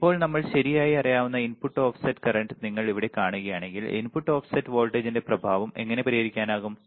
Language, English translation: Malayalam, Now, if you see here input offset voltage that we know right, how we can how we can compensate the effect of input offset voltage